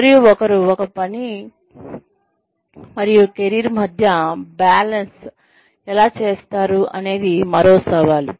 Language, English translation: Telugu, And, how does, one balance work and career, is another challenge